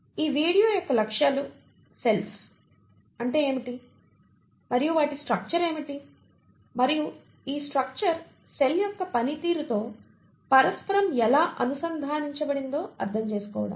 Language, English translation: Telugu, The objectives of this video are to develop an understanding of what are cells and what is their structure and how this structure interconnects with the function of the cell